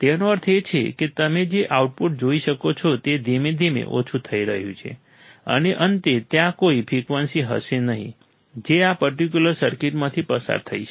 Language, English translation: Gujarati, That means, the output you will see is slowly fading down, and finally, there will be no frequency that can pass through this particular circuit